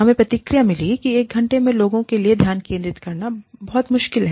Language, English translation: Hindi, We got the feedback, that one hour is too difficult for people, to focus on